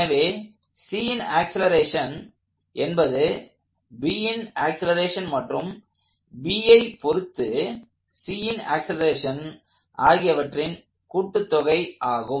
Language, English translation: Tamil, So, the acceleration of C is now equal to the acceleration of B plus the acceleration of C as observed by B